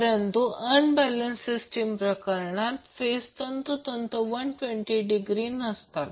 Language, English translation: Marathi, But in case of unbalanced system the phases will not be exactly 120 degree apart